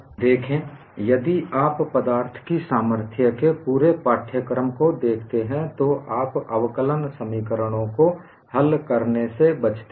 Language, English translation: Hindi, See, if you look at the whole course of strength of materials, you avoid solving differential equations